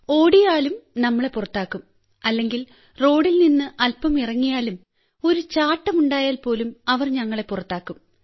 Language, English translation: Malayalam, Even if we run, they will expel us or even if we get off the road a little, they will declare us out even if there is a jump